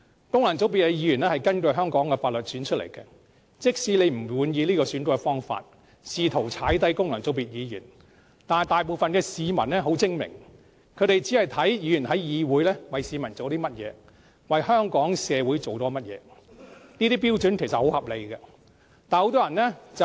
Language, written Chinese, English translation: Cantonese, 功能界別的議員是根據香港法律選出來的，縱使你不滿意這個選舉方法，試圖踩低功能界別議員，但大部分市民都很精明，他們只着眼於議員在議會為大家做了甚麼，為香港社會做了甚麼，其實這些標準是很合理的。, Members from functional constituencies are elected in accordance with the laws of Hong Kong . Though opposition Members dissatisfied with this election system always attempt to discredit Members returned by functional constituencies most people in Hong Kong are smart that they will focus on Members performance in the Council and their achievements for Hong Kong as a whole . Indeed it is reasonable to assess a legislator by these criteria